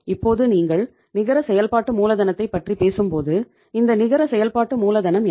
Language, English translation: Tamil, Now, when you talk about the net working capital, what is this net working capital